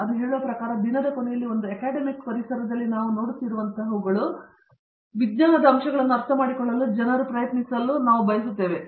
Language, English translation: Kannada, But, that said, at the end of the day in an academivc environment what we view is that, we want people to try to understand the science aspects